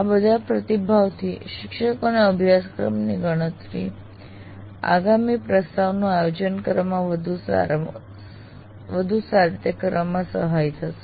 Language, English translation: Gujarati, And all these feedbacks based on this will act, will facilitate the teacher to plan the next offering of the course much better